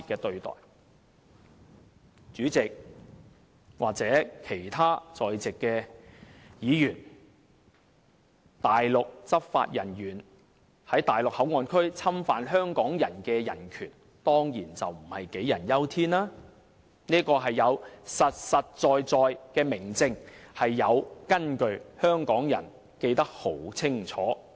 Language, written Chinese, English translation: Cantonese, 代理主席或其他在席的議員，內地執法人員在內地口岸區侵犯香港人的人權，當然不是杞人憂天，而是有實實在在的明證，是有根據的，香港人記得十分清楚。, Deputy Chairman and other Members here of course it is no paranoid to worry about the infringement of Hong Kong peoples human rights by Mainland law enforcement officers in MPA rather it is founded on clear evidence and grounds